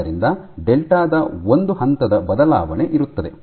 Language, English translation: Kannada, So, there is a phase shift of delta